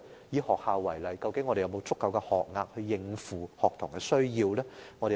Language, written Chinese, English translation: Cantonese, 以學校為例，我們是否有足夠的學額應付學童的需要？, In the case of education are there adequate school places to cater for the needs of these children?